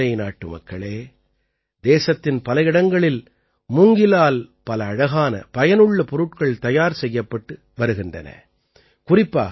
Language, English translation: Tamil, My dear countrymen, many beautiful and useful things are made from bamboo in many areas of the country